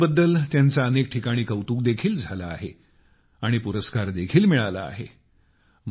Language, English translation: Marathi, He has also received accolades at many places for his efforts, and has also received awards